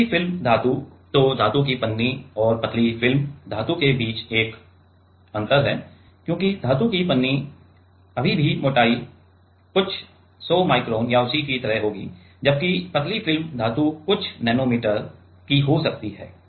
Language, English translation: Hindi, Thin film metal – so, there is a difference between metal foil and thin film metal because metal foil are still the thickness will be like a few 100 micron or so, whereas, thin film metals can be even few nanometers